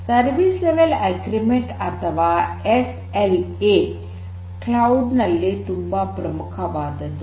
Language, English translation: Kannada, So, Service Level Agreement or SLAs are very important particularly when you are talking about cloud